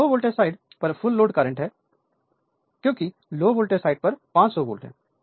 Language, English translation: Hindi, This is full load current at the low voltage side because 500 volt on the low voltage side right